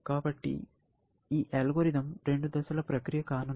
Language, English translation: Telugu, So, this algorithm is going to be a two stage process